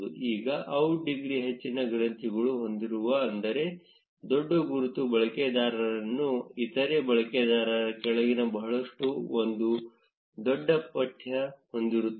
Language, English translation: Kannada, Now the nodes which have higher out degree have a larger label which means that users who are following other users a lot will have a larger text